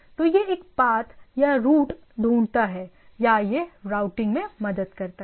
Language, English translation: Hindi, So, it finds a path or route or it helps in routing right